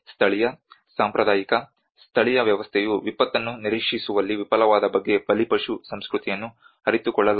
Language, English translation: Kannada, A victim culture is made aware of the failure of local, traditional, indigenous system to either anticipate the disaster